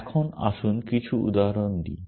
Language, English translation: Bengali, Now, let us get down to some examples